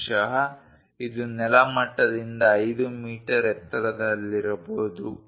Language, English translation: Kannada, Perhaps, it might be 5 meters above the ground level